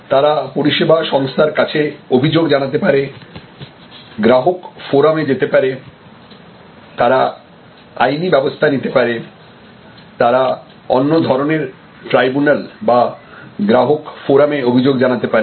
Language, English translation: Bengali, And which is that, they can complaint to the service organization, they can go to consumer forum, they can take some legal action, they can complaint to other kinds of tribunals or consumer forum and so on